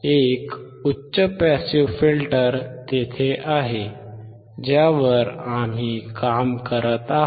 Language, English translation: Marathi, There is a high pass passive filter, that is what we are working on